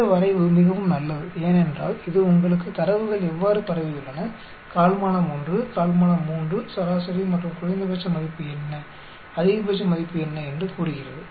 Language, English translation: Tamil, This plot is very good because it tells you how the data is spread the quartile 1, quartile 3, median and what is a minimum value